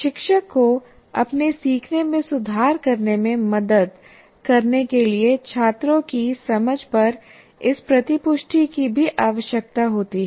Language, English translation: Hindi, And through this feedback, the teacher requires actually this feedback on students understanding to help improve their learning